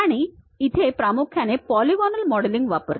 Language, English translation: Marathi, And it mainly uses polygonal modeling